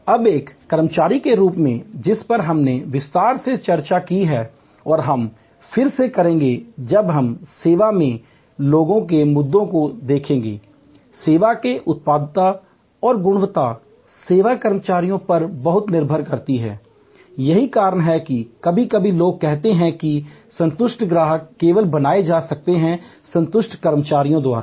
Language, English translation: Hindi, Now, just as an employee we have discussed in detail and we will again when we look at people issues in service, the productivity and quality of service depends a lot on service personnel, that is why even sometimes people say satisfied customers can only be created by satisfied employees